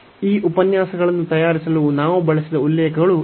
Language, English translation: Kannada, These are the references we have used to prepare these lectures